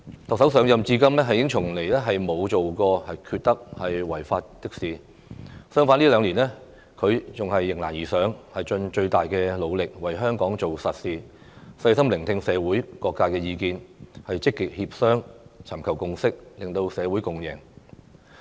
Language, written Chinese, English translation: Cantonese, 特首上任至今從來沒有做過缺德、違法的事，相反這兩年來她迎難而上，盡最大努力為香港做實事，細心聆聽社會各界意見，積極協商，尋求共識，令社會共贏。, The Chief Executive has never done anything unethical or unlawful since her assumption of office . On the contrary she has risen to the challenges and exerted her best to do solid work for Hong Kong . She has also listened to the views of various sectors and sought consensus through active negotiations so as to achieve a win - win situation